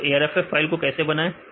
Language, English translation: Hindi, So, how to prepare the arff file